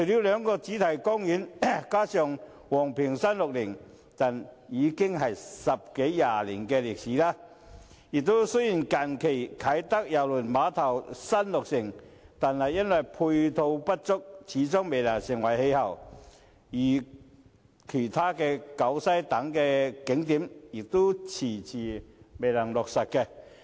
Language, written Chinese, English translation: Cantonese, 兩個主題公園和昂坪360這些景點已有十多二十年歷史，雖然近年啟德郵輪碼頭落成，但由於配套不足，始終未成氣候，其他景點如西九文化區等，亦遲遲未能落實。, Attractions such as the two theme parks and Ngong Ping 360 are more than 10 or reaching 20 years old; the Kai Tak Cruise Terminal though commissioned in recent years still cannot make its presence felt due to a lack of ancillary facilities . The commissioning of other attractions such as the West Kowloon Cultural District has also been delayed